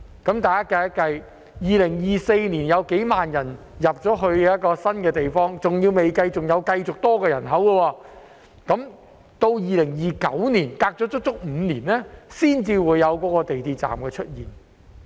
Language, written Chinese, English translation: Cantonese, 大家計算一下 ，2024 年將有數萬人遷入這個新地區，還未計算持續增加的人口，但要到2029年，相隔足足5年，那個港鐵站才會出現。, Let us do some calculations . Tens of thousands of people will move into this new area in 2024 coupled with the continuous increase in population which has not yet been taken into account but the MTR station will not be commissioned until 2029 which is five years later